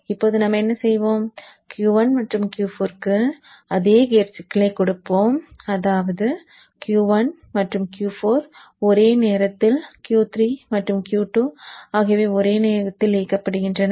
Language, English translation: Tamil, Now what we will do is we will give the same gate signal to Q1 and Q4, meaning Q1 and Q4 are turned on simultaneously